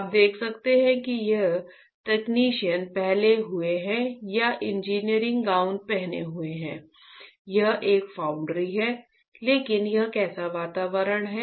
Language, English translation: Hindi, You can see that this person is wearing that the technician is wearing or engineer is wearing the gown right and it is a foundry, but what kind of environment is that